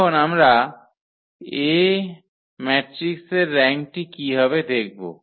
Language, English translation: Bengali, Now, here we will find the rank of the matrix